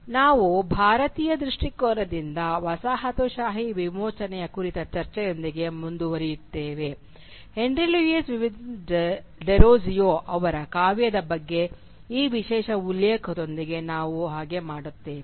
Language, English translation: Kannada, Today we will be continuing with our discussion on decolonisation from the Indian perspective and we will be doing so with special reference to the poetry of Henry Louis Vivian Derozio